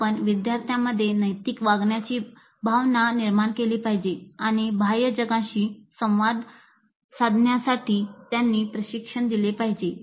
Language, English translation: Marathi, You must create that sense of ethical behavior in the students and train them in proper interaction with the outside world